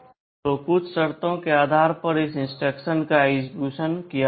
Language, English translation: Hindi, So, this instruction will be executed depending on certain condition